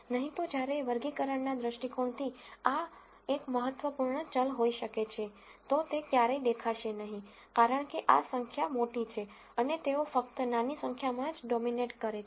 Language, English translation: Gujarati, Otherwise while this might be an important variable from a classification viewpoint, it will never show up, because these numbers are bigger and they will simply dominate the small number